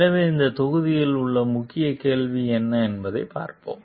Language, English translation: Tamil, So, let us see what are the key question in this module